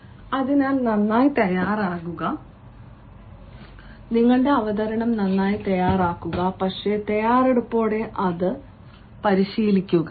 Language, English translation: Malayalam, so prepare thoroughly, prepare your presentation thoroughly, but with preparation, practice it practices repeatedly